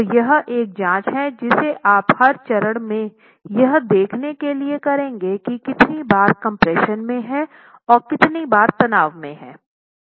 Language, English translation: Hindi, So this is a check that you will be doing at every stage to see how many bars are in compression, how many bars are in tension